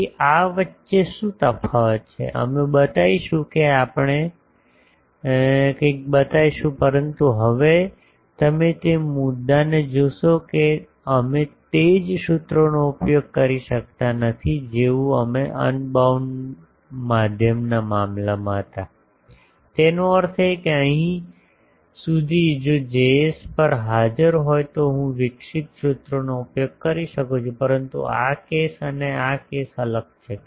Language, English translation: Gujarati, So, what is the difference between these; we will show that we will show something, but now you see that point is we cannot use the same formulas as we were having in case of unbounded medium; that means, up to here those if on the Js present I can use the formulas I developed, but this case and this case is different